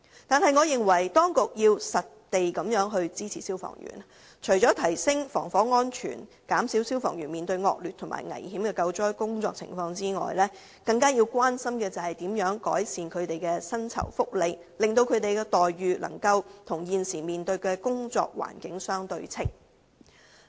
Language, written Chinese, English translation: Cantonese, 然而，我認為當局要切實支持消防員，除了提升防火安全，以減少消防員須面對的惡劣及危險的救災情況外，更要關心如何改善他們的薪酬福利，好讓他們的待遇與現時面對的工作環境相對稱。, However I think the authorities should support the firemen in practical terms . Apart from enhancing fire safety to reduce the harshness and danger faced by firemen in rescue operations the authorities should also care about how to improve their salaries and benefits so that their remuneration will be proportionate to the working environment they currently face